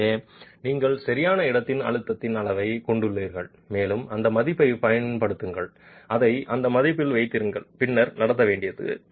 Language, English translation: Tamil, So, you have a measure of the in situ stress and use that value, keep it at that value and then conduct the pre compression